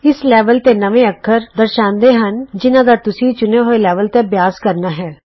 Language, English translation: Punjabi, The New Characters in This Level field displays the characters that you need to practice at the selected level